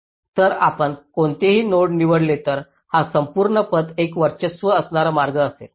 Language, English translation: Marathi, so you pick any of the nodes, this entire path will be a dominating path